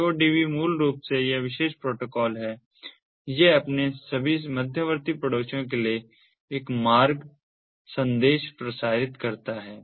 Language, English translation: Hindi, the aodv, basically this particular protocol, it broadcasts a route message to all its intermediate neighbors